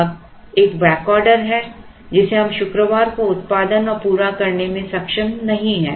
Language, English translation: Hindi, Now, there is a back order we are not able to produce and meet it on Friday